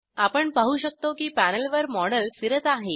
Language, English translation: Marathi, We can see that the model is spinning on the panel